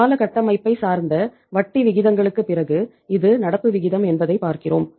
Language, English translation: Tamil, And I told you that after the term structure of interest rates when you see that this is the current ratio